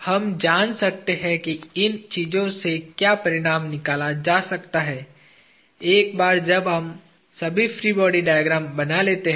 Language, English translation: Hindi, We will come to what we can infer out of these things, once we draw all the free body diagrams